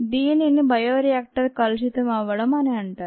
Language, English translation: Telugu, thats called contamination of the bioreactor